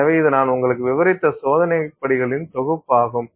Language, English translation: Tamil, So, this is a set of experimental steps that I have described you